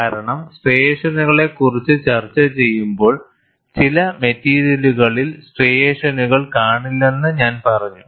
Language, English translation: Malayalam, Because while discussing striations I said, in some materials striations are not seen